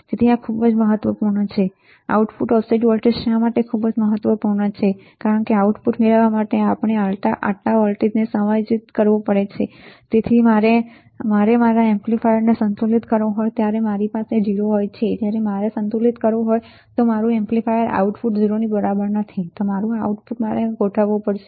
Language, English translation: Gujarati, So, this is very important right this is very important why output offset voltage, because this much amount of voltage we have to adjust to get the output, equals to 0 when I have when I have to balance my amplifier, when I have to balance my amplifier not ground output equals to 0 then I have to adjust my output